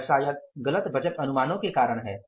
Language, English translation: Hindi, It may be because of the wrong estimation of the budget estimates